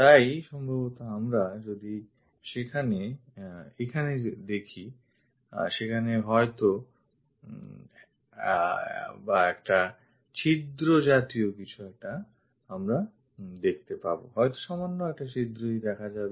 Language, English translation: Bengali, So, possibly if we are looking there here, there might be something like a hole we might be going to see it just a hole